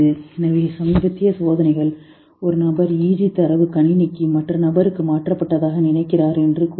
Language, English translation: Tamil, So, the latest experiments say that a person is thinking that EG data is taken and transferred through a computer to the other person